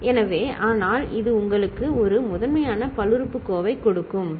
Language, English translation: Tamil, So, but this will give you a primitive polynomial, right